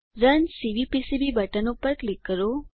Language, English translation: Gujarati, Click on the Run Cvpcb button